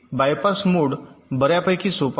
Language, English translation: Marathi, bypass mode is fairly simple